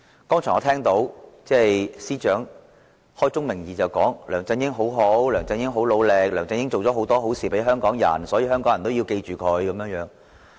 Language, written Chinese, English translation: Cantonese, 我剛才聽到司長開宗明義地說梁振英很好，很努力，為香港人做了很多好事，所以香港人要記着他。, Earlier on I heard the Chief Secretary say in his opening remarks that LEUNG Chun - ying is very good and very hard - working and that he has done a lot of good things for Hong Kong people and so Hong Kong people should remember him